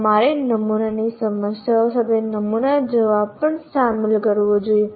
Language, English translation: Gujarati, Actually, along with the sample problem, you should also include this sample answer